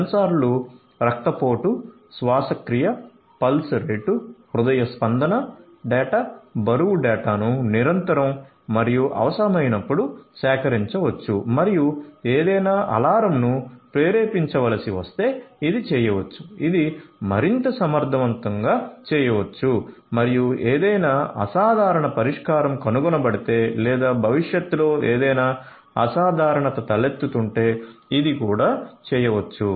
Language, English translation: Telugu, Sensors can collect blood pressure, respiration, pulse rate, health sorry heart rate data, weight data continuously and as and when required, if any alarm has to be triggered this can be done this can be done in a much more efficient manner and this can be done if any abnormal solution is detected or any abnormality is going to arise in the future, predictively this can also be done